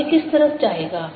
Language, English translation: Hindi, now which way would it go for that